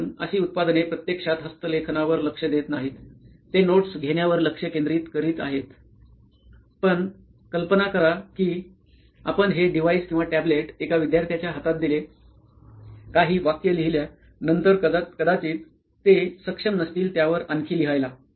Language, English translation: Marathi, so the reason is they are not actually focusing on handwriting, they are focusing on taking notes it is fine, but imagine you place this device the tablet the existing products in a hand of a student, after writing a few sentence they will probably not able to write anymore on that